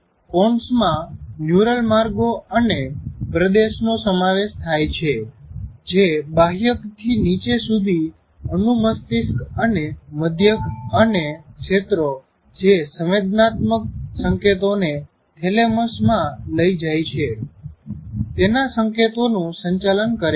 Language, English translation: Gujarati, And it's a kind of, it includes neural pathface and tracks that conduct signals from the cortex down to the cerebellum and medulla and tracks that carry the sensory signals up into the thalamus